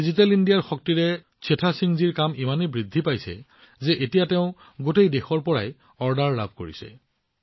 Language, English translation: Assamese, Today, with the power of Digital India, the work of Setha Singh ji has increased so much, that now he gets orders from all over the country